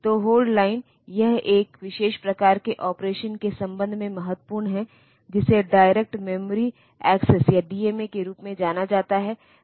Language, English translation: Hindi, So, hold line will be it is important with respect to a special type of operation which are known as direct memory access or DMA